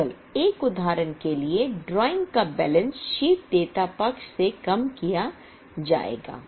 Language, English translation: Hindi, Only one for example drawing will be reduced from the balance sheet liability side